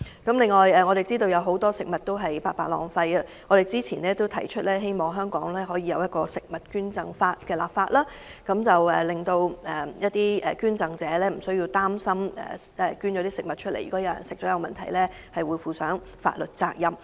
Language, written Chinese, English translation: Cantonese, 另一方面，我們知道有很多食物被白白浪費，因此早前曾建議本港制定食物捐贈法，令捐贈者不必擔心有人在進食其所捐贈的食物後發生任何問題時，須負上法律責任。, On the other hand we know that a lot of food has been wasted . A proposal was put forth earlier to legislate for food donation in Hong Kong to discharge food donors from the legal liabilities that might arise from recipients falling sick after consuming the donated food